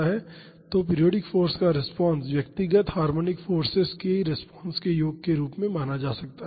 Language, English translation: Hindi, So, the response of the periodic force can also be treated as the sum of the responses of the individual harmonic forces